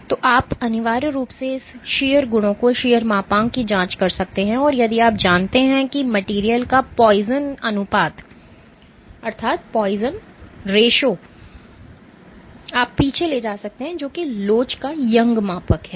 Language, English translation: Hindi, So, you can essentially probe its shear properties shear modulus and if you knew the poisons ratio of the material you can backtrack what is the Young’s modulus of elasticity